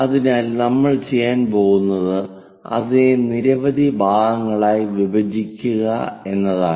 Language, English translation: Malayalam, So, what we are going to do is divide into different number of parts